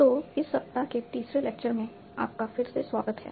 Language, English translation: Hindi, So, welcome back for the third lecture of this week